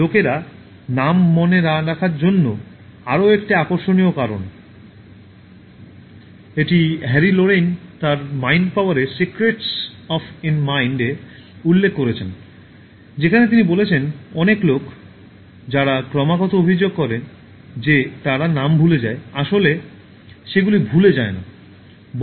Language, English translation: Bengali, Another interesting reason for people not remembering names— This has been pointed out by Harry Lorayne in his Secrets of Mind Power where he says: “Many people who constantly complain that they forget names don’t really forget them